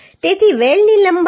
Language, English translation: Gujarati, 43 mm So length of weld is 9